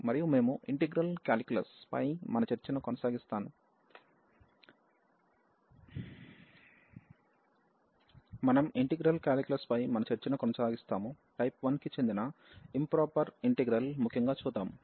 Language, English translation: Telugu, And we will continue our discussion on integral calculus, so in particular improper integrals of type 1